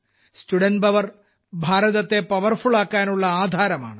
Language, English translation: Malayalam, Student power is the basis of making India powerful